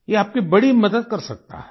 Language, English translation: Hindi, It can be a great help to you